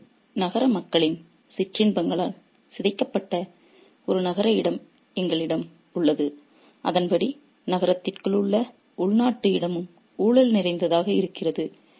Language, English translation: Tamil, So, we have a city space that has been corrupted by the sensual pleasures of the people of the city and accordingly the domestic space within the city is also corrupt